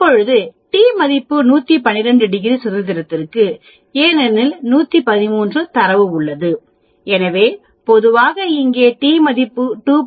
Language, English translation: Tamil, Now t is my t value of which I can determine for 112 degrees of freedom because I have 113 data, so generally the t value here will be 2